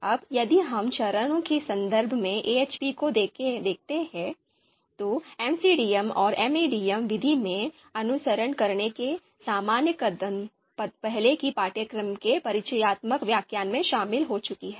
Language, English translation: Hindi, Now if we look at AHP in terms of steps, so generic steps to follow a to actually follow in an MCDM and MADM method, we have covered into the introductory part of the course introductory lecture of the course